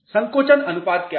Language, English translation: Hindi, What is shrinkage ratio